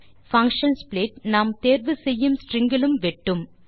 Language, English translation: Tamil, The function split can also split on a string of our choice